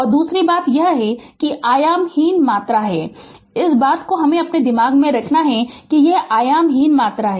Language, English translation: Hindi, And second thing is it is dimensionless quantity this thing we have to keep it in our mind it is dimensionless quantity